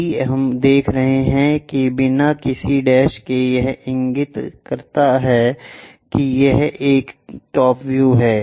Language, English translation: Hindi, If we are showing that without any’s dashes it indicates that it is a top view